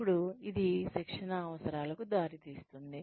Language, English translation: Telugu, Then, this results in a training needs